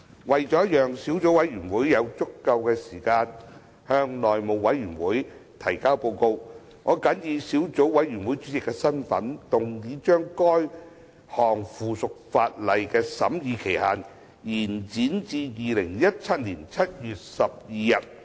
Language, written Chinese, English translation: Cantonese, 為了讓小組委員會有足夠時間向內務委員會提交報告，我謹以小組委員會主席的身份，動議將該項附屬法例的審議期限，延展至2017年7月12日。, In order to allow sufficient time for the Subcommittee to submit a report to the House Committee in my capacity as Chairman of the Subcommittee I move that the scrutiny period of the aforementioned subsidiary legislation be extended to 12 July 2017